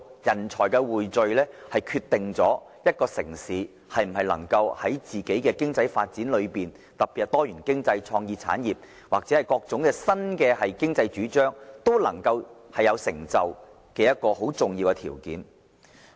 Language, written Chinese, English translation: Cantonese, 人才匯聚是決定一個城市在經濟發展之中，特別是在多元經濟、創意產業或各種新經濟領域中，能否有所成就的一個重要條件。, This is the determining factor for a city to succeed in its economic development especially in the development of diversified economy creative industry and new economies